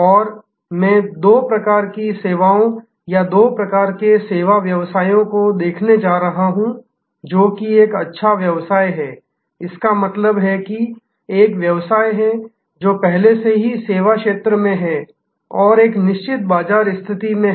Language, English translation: Hindi, And I am going to look at two types of services or two types of service businesses, one which is an incumbent business; that means that is a business, which is already in service and has a certain market position